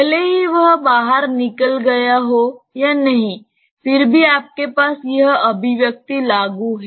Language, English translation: Hindi, Irrespective of whether it has spilled out or not, you still have this expression applicable